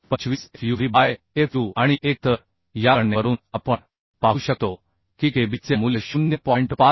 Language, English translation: Marathi, 25 fub by fu and 1 So from this calculation we could see that the value of kb is becoming 0